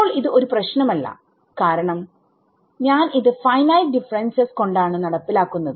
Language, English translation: Malayalam, Now this is not a problem because I am implementing this by finite differences